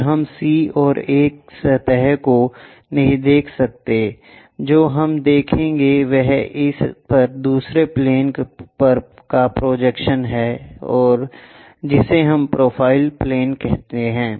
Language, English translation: Hindi, Then, we cannot see C and A surfaces, what we will see is projection of this on to another plane what we will call profile plane